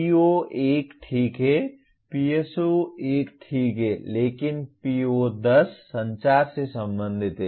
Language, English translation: Hindi, PO1 is fine PSO1 is fine but PO10 is related to communication